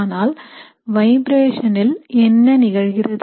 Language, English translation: Tamil, But what happens to the vibrations